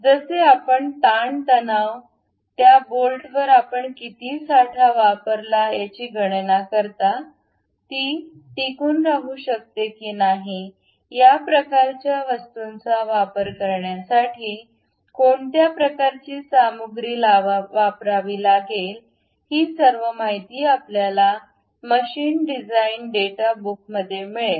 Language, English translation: Marathi, Like you calculate stresses, strains, how much stock you really apply on that bolt, whether it can really sustain, what kind of materials one has to use these kind of things you will get it in machine design data books